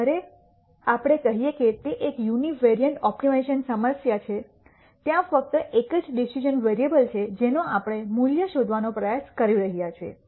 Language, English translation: Gujarati, When we say it is a univariate optimization problem there is only one decision variable that we are trying to find a value for